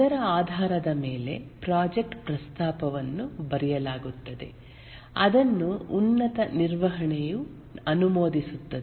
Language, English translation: Kannada, And based on that, the project proposal is written and it is approved by the top management